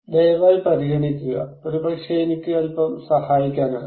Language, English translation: Malayalam, Please consider, maybe I can help a little bit